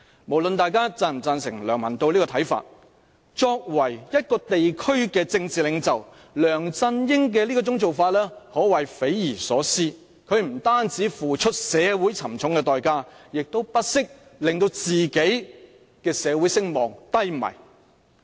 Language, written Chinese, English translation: Cantonese, 無論大家是否贊成上述梁文道的看法，梁振英作為一個地區的政治領袖，其所作所為可謂匪夷所思，他不單要社會付出沉重的代價，亦不惜令到自己的社會聲望低迷。, Whether one agrees or disagrees with LEUNG Man - taos views above LEUNG Chun - yings deeds are inconceivably perplexing indeed . The community has to pay a high price and even his social prestige has diminished all because of what he has done